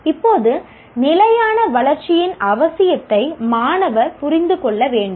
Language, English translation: Tamil, Now, students should understand the need for sustainable development